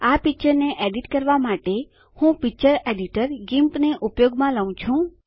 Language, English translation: Gujarati, I am using the picture editor GIMP to edit this picture